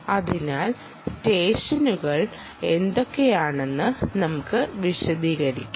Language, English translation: Malayalam, so let us put down what are the sessions